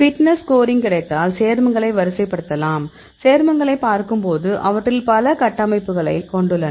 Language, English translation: Tamil, So, if we get the fitness score we can rank the compounds; when its look at the compounds many of them are having similar structures